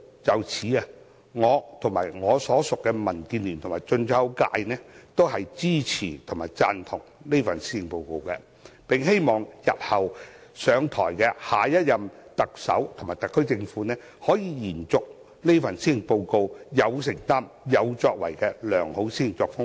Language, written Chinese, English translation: Cantonese, 就此，我和我所屬的民主建港協進聯盟及進出口界均支持這份施政報告，並希望下任特首和特區政府可以延續這份施政報告有承擔和有作為的良好施政作風。, In this connection I the Democratic Alliance for the Betterment and Progress of Hong Kong DAB which I belong and the Import and Export sector pledge our support to the Policy Address . And we hope that the next Chief Executive and SAR Government can follow the good direction laid down in this committed and accomplished Policy Address